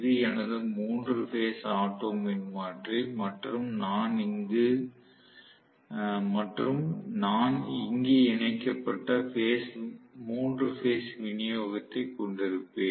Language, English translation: Tamil, So, this is my 3 phase autotransformer and I am going to have essentially the 3 phase supply connected here